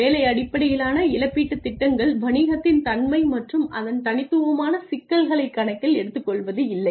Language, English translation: Tamil, Job based compensation plans do not take into account the nature of the business and its unique problems